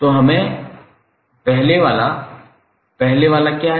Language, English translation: Hindi, So let's see the first one, what is first one